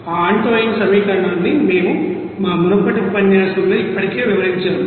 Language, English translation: Telugu, That Antoine's equation how to calculate already we have described in our earlier you know lecture